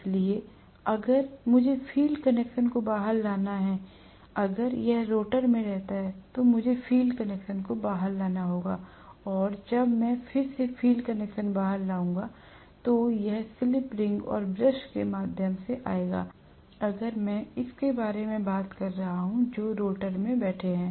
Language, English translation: Hindi, So, if I had to bring the field connections out, if it is residing in the rotor I have to bring the field connections out and the field connections when I bring out again, it will come through slip ring and brush, if I am talking about it sitting in the rotor